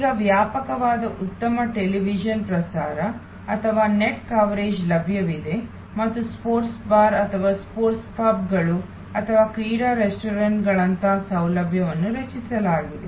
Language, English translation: Kannada, Now, extensive very good television coverage or on the net coverage is available and facilities like sports bar or sports pubs or sport restaurants have been created